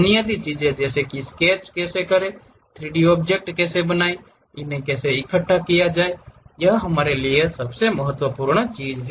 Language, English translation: Hindi, The basic things like how to sketch, how to make 3D objects, how to assemble made them is the most important thing for us